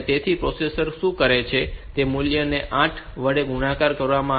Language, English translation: Gujarati, So, what the processor does is that this value is multiplied by 8